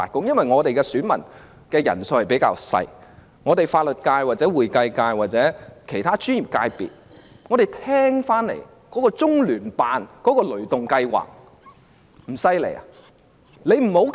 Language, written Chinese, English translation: Cantonese, 功能界別的選民人數較少，法律界、會計界或其他專業界別所聽到的中聯辦"雷動計劃"不厲害嗎？, Functional sectors have a smaller electorate . Is LOCPGs ThunderGo heard by the Legal Constituency the Accountancy Constituency or other professional sectors not influential?